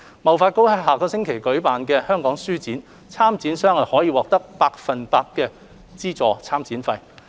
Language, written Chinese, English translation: Cantonese, 貿發局將於下周舉行香港書展，參展商可獲百分百資助參展費。, HKTDC will organize the Hong Kong Book Fair next week in which participants will be eligible for full subsidy for their participation fees